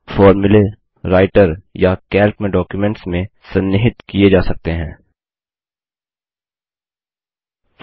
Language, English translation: Hindi, The formulae can be embedded into documents in Writer or Calc